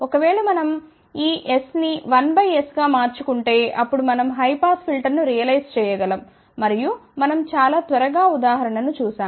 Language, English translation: Telugu, If, we change this S to 1 by S, then we can realize a high pass filter and we had seen very quick example let us just go through it quickly